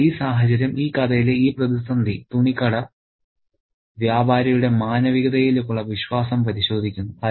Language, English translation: Malayalam, So, this situation, this crisis in the story tests the cloth shop merchant's faith in humanity